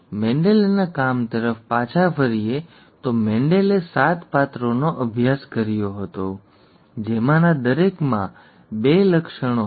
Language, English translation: Gujarati, Coming back to Mendel’s work, Mendel studied seven characters, each of which had two traits